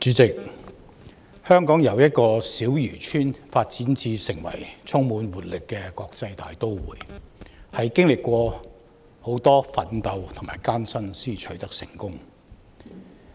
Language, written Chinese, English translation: Cantonese, 主席，香港由一個小漁村發展成為充滿活力的國際大都會，是經歷許多奮鬥和艱辛才取得成功的。, President from a small fishing village to a vibrant cosmopolitan city Hong Kong has earned its success through a great deal of struggles and hardships